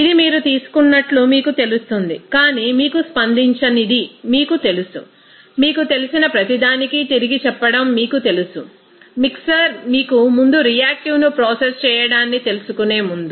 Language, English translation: Telugu, It will be you know taken but remaining you know unreacted you know that reacting to be you know saying back to each you know, mixer before you know processing the top reactive there